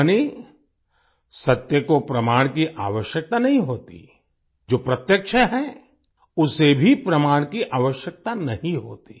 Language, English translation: Hindi, That is, truth does not require proof, what is evident also does not require proof